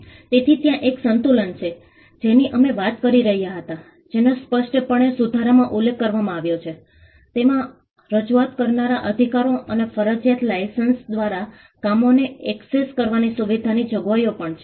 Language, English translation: Gujarati, So, there is a balance that we were talking about that is expressly mentioned in the amendment, it also has provisions on performer’s rights and a provision to facilitate access to works by means of compulsory licences